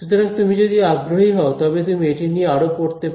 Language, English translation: Bengali, So, if you are interested you can read more on that